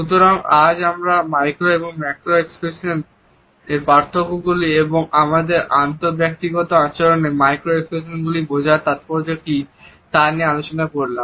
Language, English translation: Bengali, So, today we have discussed the difference between micro and macro facial expressions and what exactly is the significance of understanding micro expressions in our interpersonal behavior